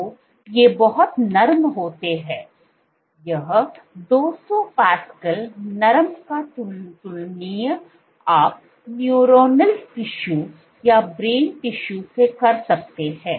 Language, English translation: Hindi, So, these are very soft, this 200 pascal is comparable to soft you know neuronal tissue brain tissue